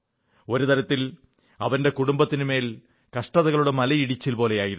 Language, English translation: Malayalam, In a way, his family was overwhelmed by trials and tribulations